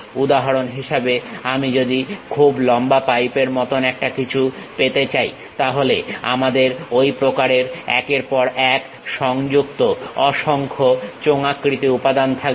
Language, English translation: Bengali, For example, if I would like to have something like a very long pipe, then we will have that kind of cylindrical elements many connected line by line